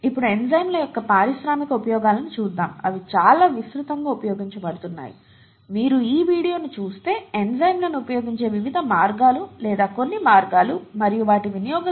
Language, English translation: Telugu, Now let us look at the industrial uses of enzymes, they are very widely used, f you look at this video, it’ll tell you the various ways or some of the ways in which enzymes are used and their usage is billions of dollars per year kind of level